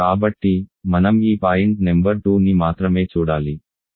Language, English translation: Telugu, So, only that we have to see this point number 2